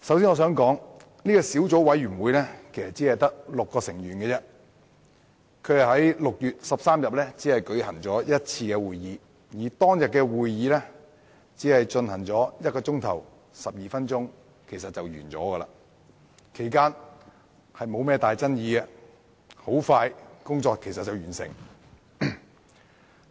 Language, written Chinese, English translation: Cantonese, 首先，小組委員會只有6名成員，並只在6月13日舉行一次會議，而那次會議亦只進行1小時12分鐘便完結，其間沒有重大爭議，很快便完成審議工作。, First the Subcommittee comprised only six members and met just once on 13 June . The meeting lasted for merely 1 hour and 12 minutes during which there was no substantive controversy and before long the scrutiny was completed